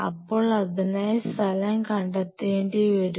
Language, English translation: Malayalam, So, we have to have a designated spot for it